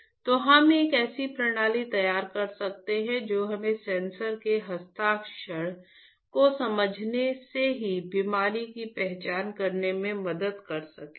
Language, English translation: Hindi, Can we design a system that can help us to identify the disease just from understanding the breath signature